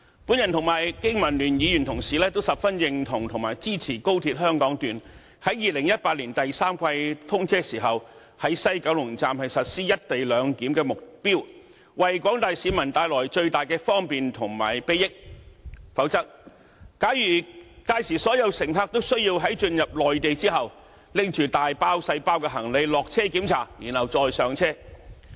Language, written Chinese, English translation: Cantonese, 我和經民聯議員同事都十分認同和支持高鐵香港段在2018年第三季通車時，在西九龍站實施"一地兩檢"，為廣大市民帶來最大的方便及裨益；否則，屆時所有高鐵乘客都需要在進入內地後，拿着大包小包行李下車通過檢查，然後再上車。, Members from the Business and Professionals Alliance for Hong Kong BPA and I fully recognize and support the implementation of the co - location arrangement at West Kowloon Station upon the commissioning of the Hong Kong Section of XRL in the third quarter of 2018 for the sake of bringing the greatest convenience and benefits to the general public . If there is no such an arrangement all XRL passengers will need to disembark with all their luggage for border checks after entering into the Mainland territory . This will be highly disturbing to the passengers and will also be inefficient